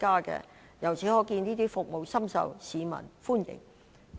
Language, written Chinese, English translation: Cantonese, 由此可見，這些服務深受市民歡迎。, We thus see that these services are well received by the public